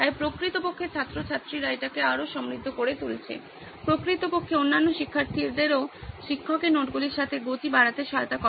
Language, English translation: Bengali, So actually students pitching in and making it richer, actually helps the other students also sort of get up to speed with the teacher’s notes